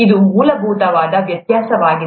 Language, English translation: Kannada, This is the basic difference